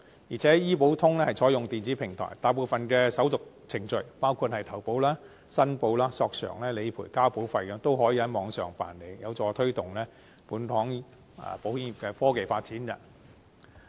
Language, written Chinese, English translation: Cantonese, 而且醫保通是採用電子平台，大部分的手續程序，包括投保、申報、索償、理賠和交保費均可以在網上辦理，有助推動本港保險業的科技發展。, Also operating on an electronic platform the scheme allows most of the formalities including enrolment declaration claims submission claims settlement and premium payment to be completed online . This can help encourage technological development in the Hong Kong insurance sector